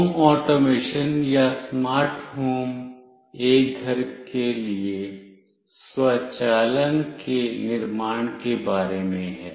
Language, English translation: Hindi, Home automation or smart home is about building automation for a home